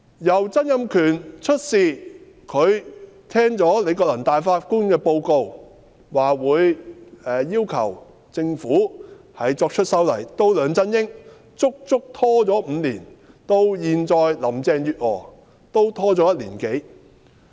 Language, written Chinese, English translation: Cantonese, 由曾蔭權聽罷李國能大法官的報告，表示會要求政府作出修例，到梁振英，足足拖了5年，到現在林鄭月娥，也拖了1年多。, Donald TSANG read the report of Chief Justice Andrew LI and said that he would request the Government to conduct a legislative amendment exercise . LEUNG Chun - ying had delayed the work for five years and Carrie LAM has delayed the work for more than a year